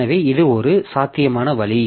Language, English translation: Tamil, So this is one possible way